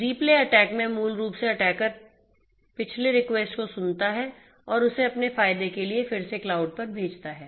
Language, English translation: Hindi, Replay attack basically here the attacker eavesdrops the previous requests and sends it again to the cloud for her own benefit